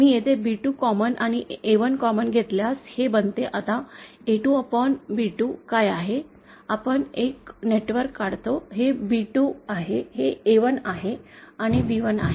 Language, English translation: Marathi, If I take B2 common here and A1 common here, then this becomesÉ Now what is this A2 upon B2É we draw a networkÉ This is B2, this is A1 and this is B1